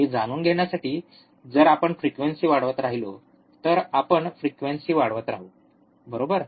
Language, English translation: Marathi, To to know that, we will if we keep on increasing the frequency, we keep on increasing the frequency, right